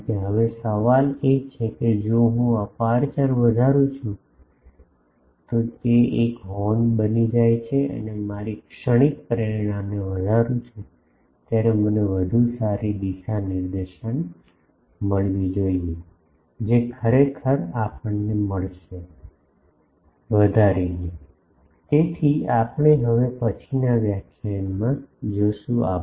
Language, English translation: Gujarati, Because now, the question is if I flared the aperture that becomes a horn and the moment I flare my motivation is, I should get better directivity, which actually we will get, by flaring; So, that we will see in the next lectures